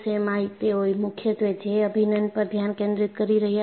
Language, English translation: Gujarati, In the US, they were mainly focusing on J integral